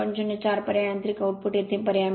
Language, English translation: Marathi, 04 substitute here, mechanical output you substitute here